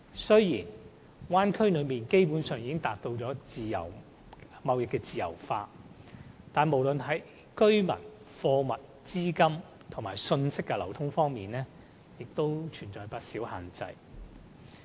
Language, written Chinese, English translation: Cantonese, 雖然大灣區內基本上已經實現貿易自由化，但無論是在居民、貨物、資金和信息的流通方面，仍存在不少限制。, Free trade is basically practised in the Bay Area now but the flows of people goods capitals and information still face many restrictions